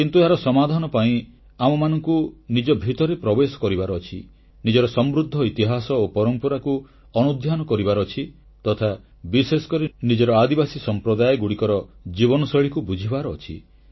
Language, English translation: Odia, But, for its solution we only have to look inwards, to look into our glorious past and our rich traditions and have especially to understand the lifestyle of our tribal communities